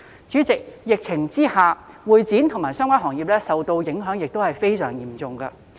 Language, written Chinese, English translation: Cantonese, 主席，在疫情下，會展及相關行業受到的影響亦非常嚴重。, President under the epidemic the MICE industry and the related sectors has been dealt a very serious blow